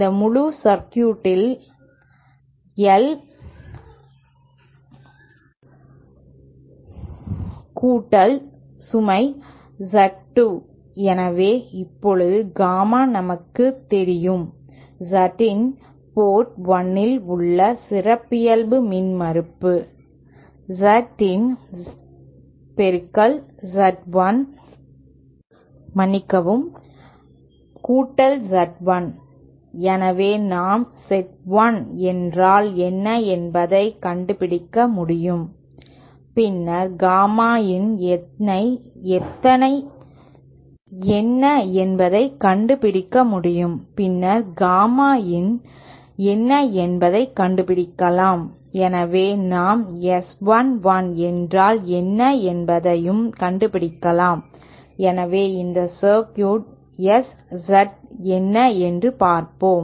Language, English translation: Tamil, The whole circuit, I mean the this circuit plus the load Z 2 so now gamma in itself we know is equal to Z in minus the characteristic impedance at port 1 upon Z in plus Z 1, so then we if we can find out what is Z 1 then we can find out what is gamma in and then hence we can find out what is S 1 1, so let us see what is S Z in for this circuit